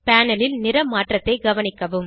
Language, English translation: Tamil, Observe the change in color on the panel